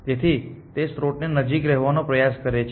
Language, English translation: Gujarati, So, it tries to stick as close to the source as possible